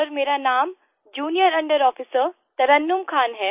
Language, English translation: Hindi, Sir, this is Junior under Officer Tarannum Khan